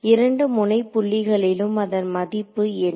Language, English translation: Tamil, So, at both the node points what is its value